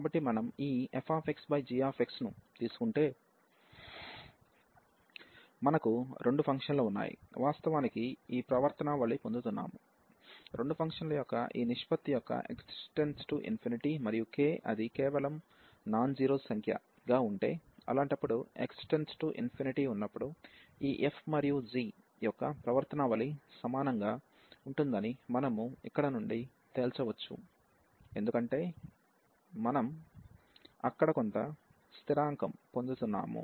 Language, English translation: Telugu, So, if we take this limit x approaches to infinity f x over g x fx over g x, we have two functions we are actually getting this behavior that when x approaches to infinity of this ratio of the two functions, and if it comes to be just k a non zero number; in that case we can conclude from here that the behaviour of this f and g is similar when x approaches to infinity, because we are getting some constant there